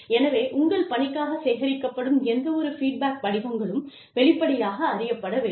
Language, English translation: Tamil, So, any kind of feedback forms, that are being collected for your work, needs to be openly known